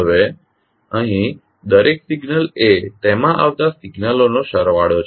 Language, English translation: Gujarati, Now each signal here is the sum of signals flowing into it